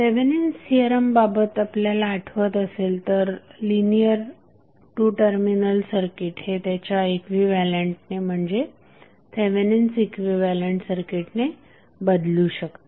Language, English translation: Marathi, So, if you recollect what we discussed in case of Thevenin's theorem that the linear two terminal circuit can be replaced with it is equivalent or Thevenin equivalent circuit